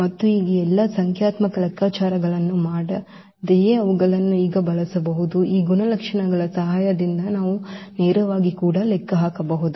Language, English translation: Kannada, And now they can be used now without doing all these numerical calculations we can compute directly also with the help of these properties